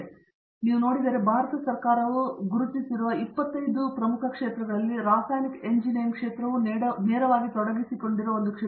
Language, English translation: Kannada, And so, if you look at, there about 25 areas which the Government of India has identified and if you look at the sectors where chemical engineering is directly involved